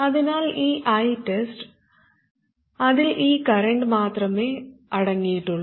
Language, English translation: Malayalam, So this I test, it consists of only this current